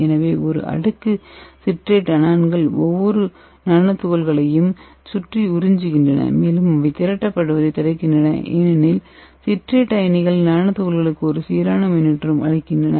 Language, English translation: Tamil, so a layer citrate anions adsorbs around each nanoparticle and it prevents from the aggregating because the citrate irons give the uniform charge to nanoparticles